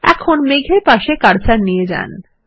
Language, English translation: Bengali, Now place the cursor next to the cloud